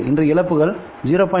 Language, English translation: Tamil, Today losses are around 0